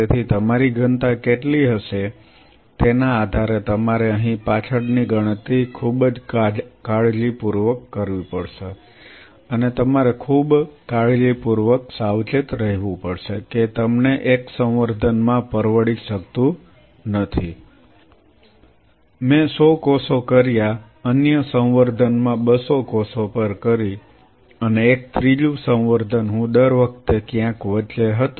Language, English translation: Gujarati, So, depending on what will be your density you have to do the back calculation here very carefully and you have to be very meticulously careful you cannot afford to have in 1 culture, I did 100 cells the other culture I did at 200 cells and a third culture I was somewhere in between every time the data what will be deriving from it will go hey where